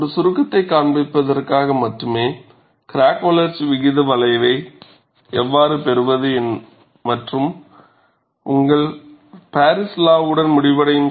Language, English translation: Tamil, And this is just to show a summary, how to get the crack growth rate curve and end with your Paris law